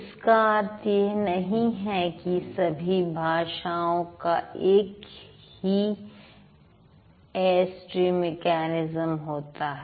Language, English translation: Hindi, Yes, all humans speaking a particular language, the Airstream mechanism remains same